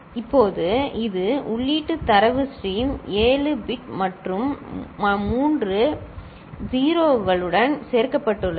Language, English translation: Tamil, Now, this is the input data stream 7 bit and 3 appended with three 0s, ok